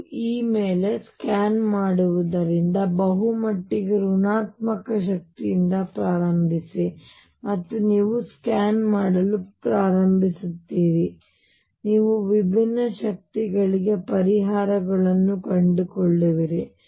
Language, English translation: Kannada, You scan over E start from a very largely negative energy and you start scanning and you will find solutions for different energies